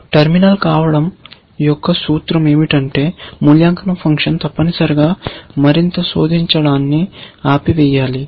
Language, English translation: Telugu, The implication of being a terminal is that you have to apply the evaluation function stop searching further, essentially